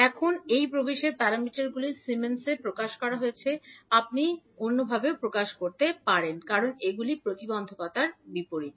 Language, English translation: Bengali, Now, these admittance parameters are expressed in Siemens, you can also say expressed in moles because these are opposite to impedance